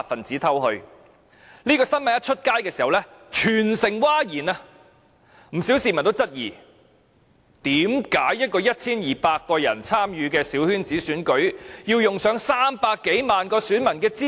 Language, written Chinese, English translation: Cantonese, 這新聞報道後，全城譁然，不少市民質疑，為甚麼 1,200 人參與的小圈子選舉，要用上300多萬名選民的資料？, The news reports on this incident led to huge public outcry . Many people queried why the holding of a coterie election involving only 1 200 people should need the personal information of more than 3 million voters